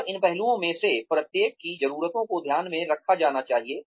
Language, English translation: Hindi, And, the needs of, each one of these aspects, have to be taken into account